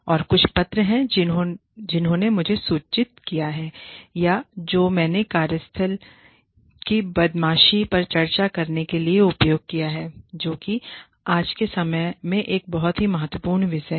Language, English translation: Hindi, And, there are a few more papers, that have informed me, or that i have used to discuss, workplace bullying, which is a very, very, important topic, in today's day and age